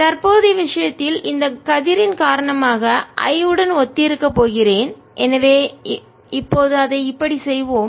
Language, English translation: Tamil, in the present case this is going to be corresponding to the i due to this ray